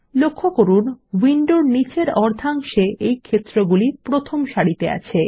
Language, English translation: Bengali, Notice these fields in the bottom half of the window in the first row